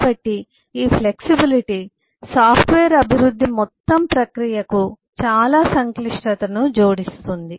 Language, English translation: Telugu, so this flexibility adds a lot of complexity to the whole process of software development